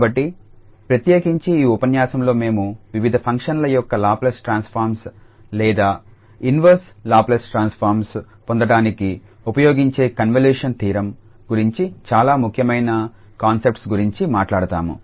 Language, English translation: Telugu, So, in particular in this lecture we will be talking about the convolution theorem very important concept which is used for getting the Laplace Transform of or inverse Laplace transform of various functions